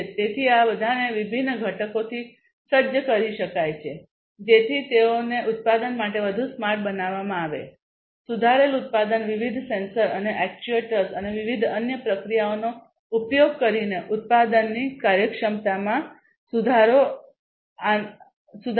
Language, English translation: Gujarati, So, all of these could be equipped with different components to make them smarter for manufacturing improved manufacturing improving the efficiency of production using different sensors and actuators and different other processing, etcetera